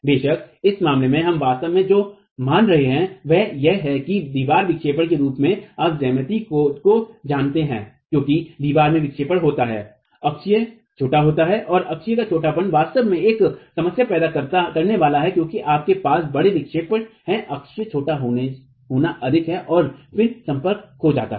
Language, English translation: Hindi, Of course what we are actually assuming in this case is that as the wall deflects, you know for geometry as the wall deflects the there is axial shortening and that axial shortening is going to actually create a problem because you have large deflections the axle shortening is more and then the contact is going to be lost